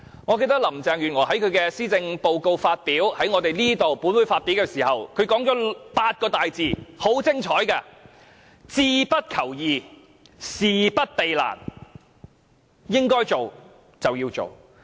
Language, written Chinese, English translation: Cantonese, 我記得林鄭月娥在本會發表施政報告時，便說了8個很精彩的大字，就是"志不求易，事不避難"，應該做的事情便要做。, I can still recall that when Carrie LAM announced her policy address in this Chamber she said some words that are quite wonderful setting no easy goals and avoiding no difficult tasks . This means that what should be done must be done